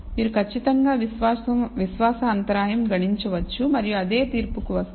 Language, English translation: Telugu, You can of course, compute confidence interval and come to the same judgment